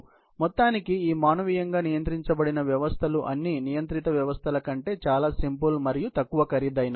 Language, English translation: Telugu, So, by and large, these manually controlled systems are quite simple and least expensive of all the controlled systems